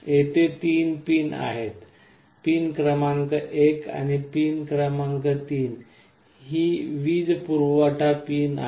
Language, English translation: Marathi, There are 3 pins; pin number 1 and pin number 3 are the power supply pins